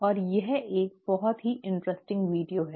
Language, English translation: Hindi, And this is a very interesting video